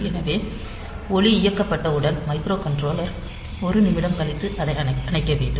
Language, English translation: Tamil, So, microcontroller after 1 minute it should turn it off